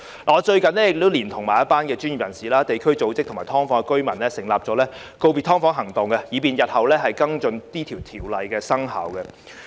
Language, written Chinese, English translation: Cantonese, 我最近連同一眾專業人士、地區組織及"劏房"的居民，成立了"告別劏房行動"，以便日後跟進《條例草案》生效後的情況。, Recently I have teamed up with professionals community organizations and SDU residents to launch the Bid farewell to SDUs campaign to follow up the situation after the commencement of the Bill in future